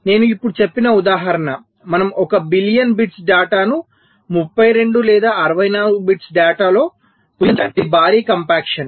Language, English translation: Telugu, i said that we are possibly compacting one billion bits of data into, lets say, thirty two or sixty four bits of data